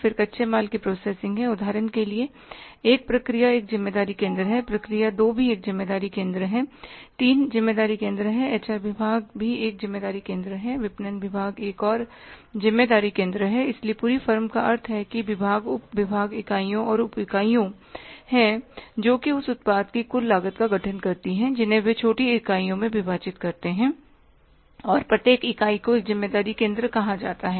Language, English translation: Hindi, Say for example process one is the one responsibility center, process two is the two responsibility center, three is the three responsibility center, HR department is the one responsibility center process 2 is a two responsibility center 3 is the 3 responsibility center HR department is the 1 responsibility center marketing department is another responsibility center so the whole firm means those say departments sub departments units and sub units which constitute to the total cost of the product they are divided into small units and each unit is called as responsibility center